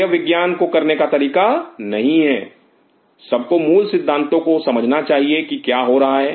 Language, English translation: Hindi, That is not the way to do the science one has to understand the basic concepts what is happening